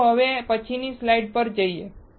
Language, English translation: Gujarati, Let us go to the next slide then